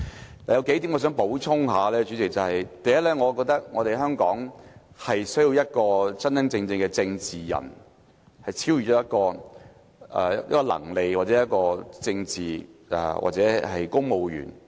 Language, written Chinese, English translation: Cantonese, 主席，我有數點想補充：第一，我覺得香港是需要一位真正的政治人，能超越一個能力或一個政治，或是公務員的層面。, President I have a few points to add though first I believe Hong Kong needs a true politician who can sustain a certain standard in terms of personal capacity and the skills to handle politics or issues concerning civil servants